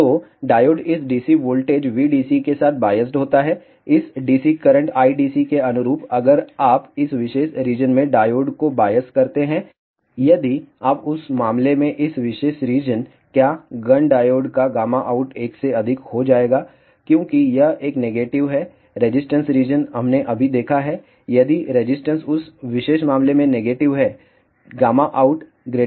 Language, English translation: Hindi, So, diode is biased with this dc voltage V d c corresponding to this DC current I d c, if you bias the diode in this particular region in that case what will happen gamma out of Gunn diode will be greater than 1, because it has a negative resistance region we have just seen that, if the resistance is negative in that particular case, gamma out will be greater than 1